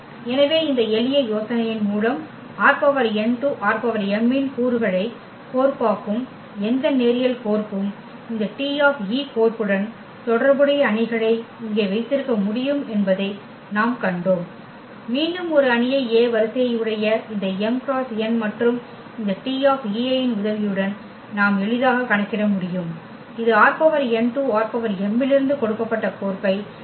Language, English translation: Tamil, So, by this simple idea what we have seen that any linear map which maps the elements of R n to R m we can have matrix here corresponding to this T e map we can have a matrix A of order again this m cross n and whose columns we can easily compute with the help of this T e i’s and this will give exactly the map which is given as this from R n to R m